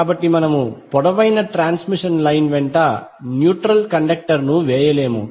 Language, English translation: Telugu, So we do not lay the neutral conductor along the long transmission line